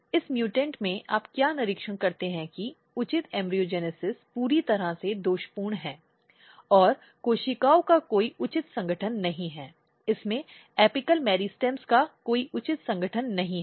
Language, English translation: Hindi, In this mutant what you observe that that the proper embryogenesis is totally defective, and there is no proper organization of the cells, there is no proper organization of them apical meristems